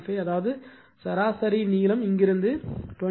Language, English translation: Tamil, 5; that means, mean length will be this side from here to here 20 minus 1